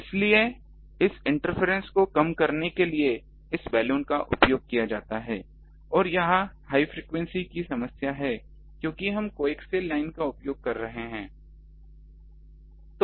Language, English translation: Hindi, So, to reduce that interference this Balun is used and it is ah problem of high frequency because we are using coaxial line